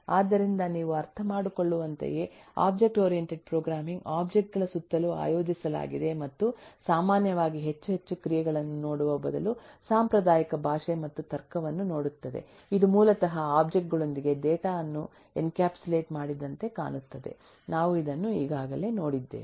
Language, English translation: Kannada, so the object oriented programming, simply as you can understand it, is organised around objects and rather than looking at actions typically, which a more traditional language will do, or looking at logic, this looks with objects, which basically encapsulate data